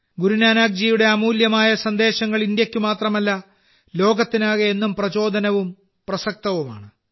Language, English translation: Malayalam, Guru Nanak Ji's precious messages are inspiring and relevant even today, not only for India but for the whole world